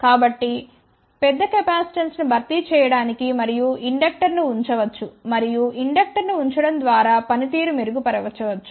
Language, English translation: Telugu, So, to compensate the large capacitance and inductor can be placed and by placing the inductor performance can be improved